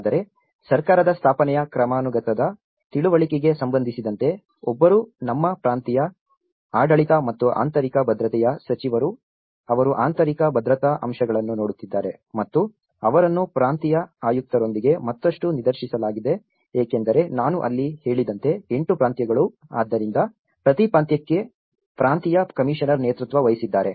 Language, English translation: Kannada, But, in terms of the understanding of the hierarchy of the government setup, one is the minister of our provincial administration and internal security, which has been looking at the internal security aspects and they are further directed with the provincial commissioner because as I said there are 8 provinces, so each province has been headed by a provincial commissioner